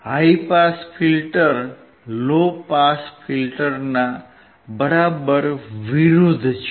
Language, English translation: Gujarati, High pass filter is exact opposite of low pass filter